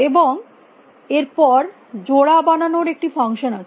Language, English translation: Bengali, And then we have a function called make pairs